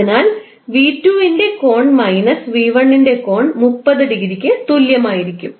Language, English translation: Malayalam, So, V2 angle of V2 minus angle of V1 will be 30 degree